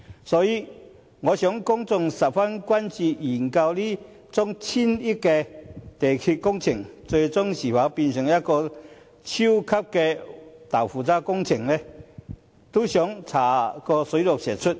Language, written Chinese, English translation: Cantonese, 所以，我想公眾十分關注究竟這宗千億元鐵路工程，最終會否變成超級豆腐渣工程，想查個水落石出。, Therefore I believe members of the public are very much concerned about whether this railway project which costs hundreds of billions of dollars will ultimately become a super shoddy project and they want a thorough investigation to be conducted